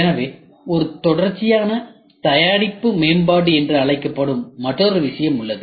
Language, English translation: Tamil, So, there is another thing which is called as a sequential product development